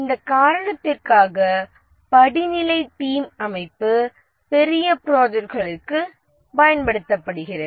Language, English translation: Tamil, And for this reason the hierarchical team structure is used for large projects